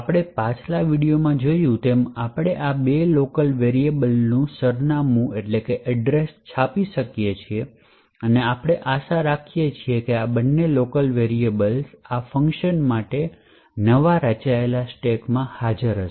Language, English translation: Gujarati, So, as we have seen in the previous video we could print the address of this two local variables and as we would expect this two local variables would be present in the newly formed stacks in for this function